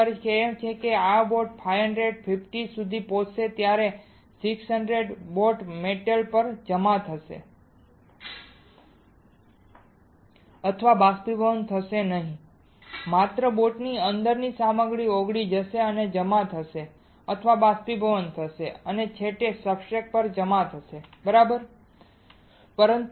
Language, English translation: Gujarati, That means, when this boat will reach 550, 600 nothing will happen to the boat metal of the boat will not get deposited or evaporated, only the material within the boat will get melted and gets deposited or gets evaporated and finally, deposited onto the substrate correct